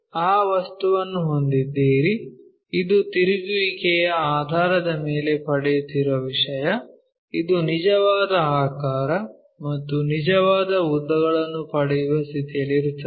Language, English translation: Kannada, You have that object this is the thing what you are getting, based on rotations one will be in a position to get, this true shape this is the true shape and true lengths